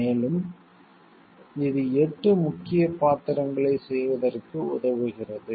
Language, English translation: Tamil, And what we find it helps in serving 8 essential roles